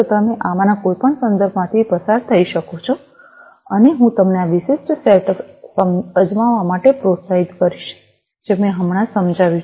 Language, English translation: Gujarati, You could go through any of these references, and I would encourage you to try out this particular setup, that I have just explained